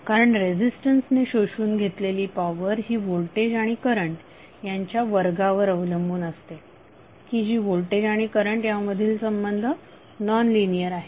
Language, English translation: Marathi, Because power absorb by resistant depend on square of the voltage and current which is nonlinear relationship between voltage and current